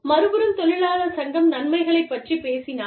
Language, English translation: Tamil, On the other hand, if the labor union, talks about benefits